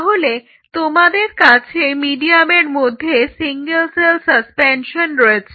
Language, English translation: Bengali, So, you have a single cell suspension in a medium